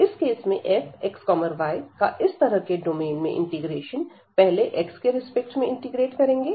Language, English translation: Hindi, So, in this case this integral of this f x, y over such domain will be now we will integrate first with respect to x